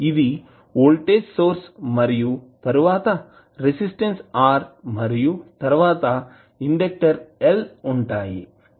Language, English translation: Telugu, That would be the voltage source and then r and then inductor l